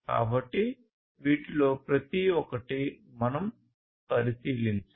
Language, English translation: Telugu, So, we will look into each of these